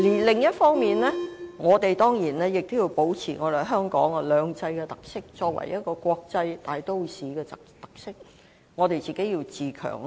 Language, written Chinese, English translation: Cantonese, 另一方面，我們當然也要保持香港在"兩制"下作為國際大都市的特色，必須自強。, In addition we must of course maintain the characteristics of Hong Kong as an international metropolis under two systems and strive for self - improvement